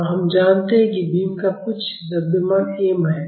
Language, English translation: Hindi, And we know that are beam has some mass m